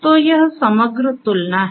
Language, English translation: Hindi, So, this is this overall comparison